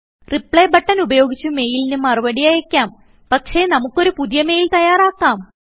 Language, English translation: Malayalam, You can use the Reply button and reply to the mail, but here lets compose a new mail